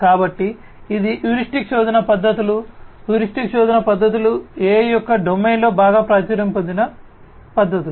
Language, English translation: Telugu, So, these are the heuristic search methods; heuristics search methods are quite popular search methods in the domain of AI